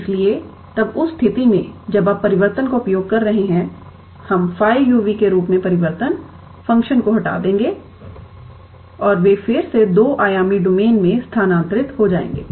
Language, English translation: Hindi, So, then in that case once you are using the transformation, we will get away the transformation function as phi u and v, and they will get again transferred to a two dimensional domain